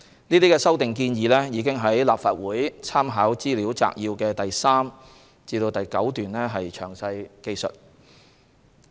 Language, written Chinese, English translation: Cantonese, 這些修訂建議已於立法會參考資料摘要的第3至9段詳述。, These proposed amendments are set out in detail in paragraphs 3 to 9 of the Legislative Council Brief